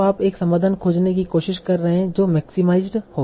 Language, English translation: Hindi, So now, so you are trying to find a solution such that this is maximized